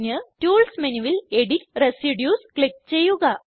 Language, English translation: Malayalam, Go to Tools menu click on Edit residues